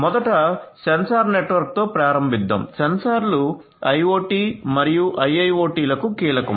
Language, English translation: Telugu, So, first let us start with the sensor network, sensor the network sensors etcetera are key to IoT and IIoT